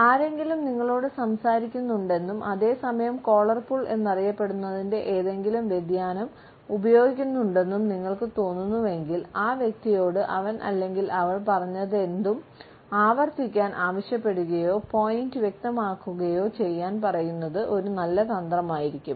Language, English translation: Malayalam, If you feel that somebody is talking to you and at the same time using any variation of what is known as the collar pull, it would be a good strategy to ask the person to repeat, whatever he or she has said or to clarify the point